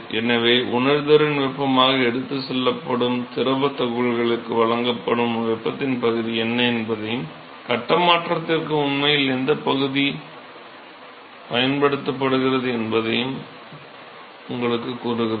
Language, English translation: Tamil, So, this tells you what is the fraction of the heat that is supplied to the fluid particle which is carried as sensible heat and what fraction is actually used for phase change